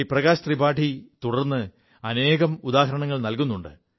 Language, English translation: Malayalam, Shriman Prakash Tripathi has further cited some examples